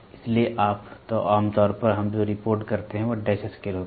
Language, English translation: Hindi, So, generally what we report is a dash scale